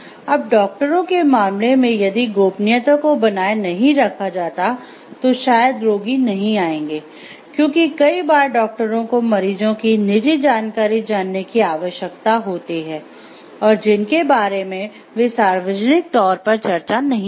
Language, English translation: Hindi, So, if suppose in case of doctors; like if by confidentiality is not maintained, then maybe the patients are not going to come, because it requires, doctors knowing some private information about the patients which they may not want to discuss with the public at large